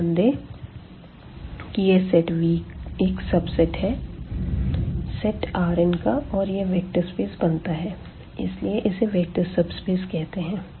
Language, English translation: Hindi, Note that this V the set V is a subset of is a subset of this R n and forms a vector space and therefore, this is called also vector subspace